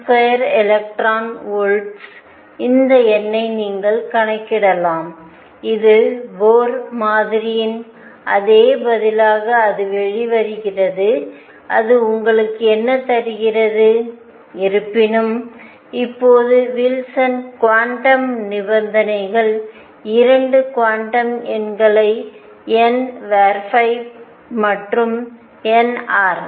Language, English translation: Tamil, 6 z square over n square electron volts you can calculate this number in that comes out to be, which is exactly the same answer as the Bohr model; what it gives you; however, are now let us just analyze this the Wilson quantum conditions give 2 quantum numbers n phi and n r